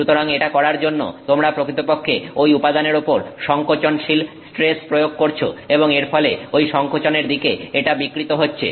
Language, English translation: Bengali, So, by doing so you are actually applying a compressive stress on that material and it is strained in a compressive direction